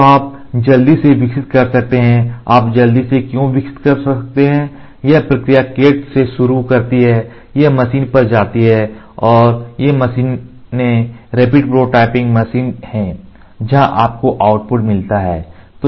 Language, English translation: Hindi, So, you can quickly develop, why quickly you can develop the process starts it from CAD, it goes to the machine and these machines are rapid prototyping machines where in which you get the output